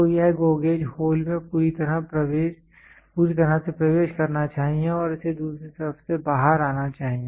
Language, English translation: Hindi, So, this GO gauge should enter fully through the hole and it should come out through the other side